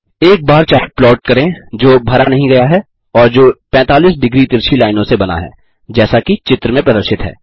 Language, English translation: Hindi, Plot a bar chart which is not filled and which is hatched with 45 degree slanting lines as shown in the image